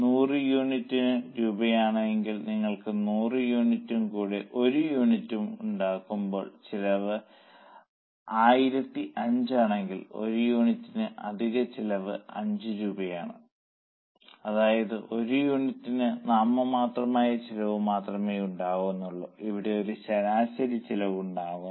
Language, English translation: Malayalam, So, for 100 units if cost is 1000 rupees, if you make 101 unit and the cost is 1,000 5, then for one unit the extra cost is 5 rupees, that is a marginal cost of one unit